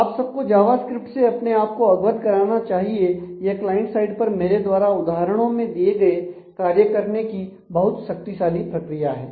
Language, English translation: Hindi, And it is you should familiarize yourself with Java script more; it is a very powerful mechanism to do compute the sample things at the client side this is an example that I have given